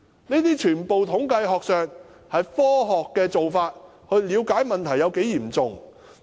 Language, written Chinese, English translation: Cantonese, 這些全都是統計學上的科學做法，以了解問題有多嚴重。, These scientific and statistical methods can help us understand the seriousness of the problem